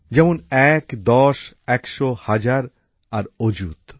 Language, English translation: Bengali, One, ten, hundred, thousand and ayut